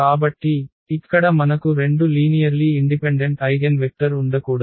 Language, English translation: Telugu, So, here we cannot have two linearly independent eigenvector